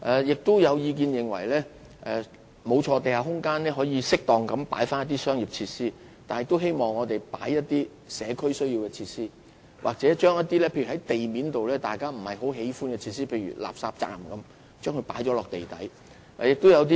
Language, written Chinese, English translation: Cantonese, 亦有意見認為，可在地下空間適當加入一些商業設施，但亦可以加入一些社區需要的設施，或將一些不太受歡迎的地面設施遷入地底。, Views have also been expressed on the possibility of including appropriately some commercial facilities in the development of underground space and it is also considered feasible to provide the required community facilities in underground space or relocate some unwelcome facilities above ground to such space